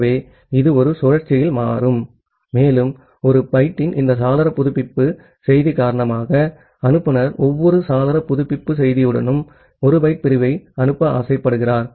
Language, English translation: Tamil, So, this becomes in a loop and because of this window update message of 1 byte, the sender is tempted to send 1 byte of segment with every window update message